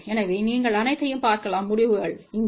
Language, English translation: Tamil, So, you can see all the results over here